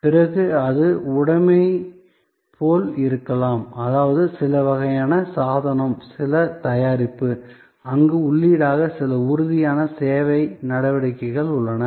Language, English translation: Tamil, Then, it could be like possession; that mean some kind device, some product, where there are some tangible service actions as input